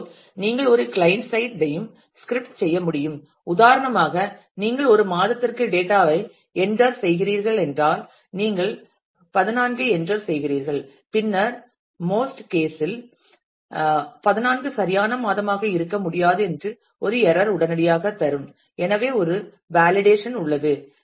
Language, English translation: Tamil, Similarly, you could have script an client side also for example, if you are entering data for say a month and in numeric and you happened to enter 14; then in most cases the page will immediately give a error saying that 14 cannot be a valid month; so, there is a validation involved